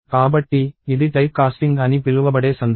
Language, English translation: Telugu, So, this is the case of what is called typecasting